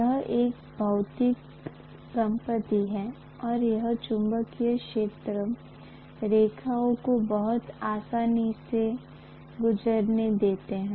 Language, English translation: Hindi, It is a material property and it is going to allow the magnetic field lines to pass through them very easily